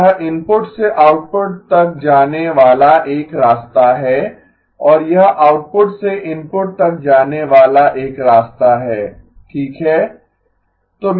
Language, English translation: Hindi, So this one is a path going from the input to the output and this one is a path going from the output to the input okay